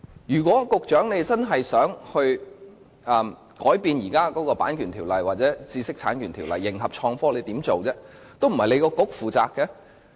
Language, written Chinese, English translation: Cantonese, 如果局長真的想修訂現時的《版權條例》或知識產權法來迎合創科的發展，他可以做些甚麼？, If the Secretary really wishes to amend the existing Copyright Ordinance or intellectual property rights law to complement the development of innovation and technology what can he do? . It is actually not within the ambit of his Policy Bureau